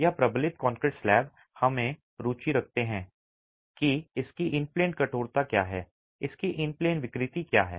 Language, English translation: Hindi, This reinforced concrete slab, we are interested in what is its in plane stiffness, what its in plain deformability